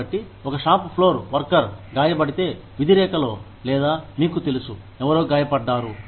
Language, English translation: Telugu, So, if a shop floor worker gets hurt, in the line of duty, or even otherwise, you know, somebody is hurt